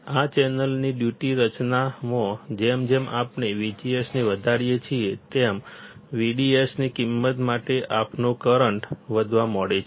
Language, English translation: Gujarati, Duty formation of this channel as we go on increasing V G S, our current starts increasing for value of V D S